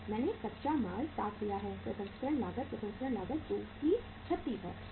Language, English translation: Hindi, I have taken the raw material is 60, processing cost is uh processing cost is 36